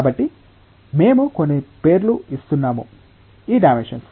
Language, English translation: Telugu, So, we are giving some names of these dimensions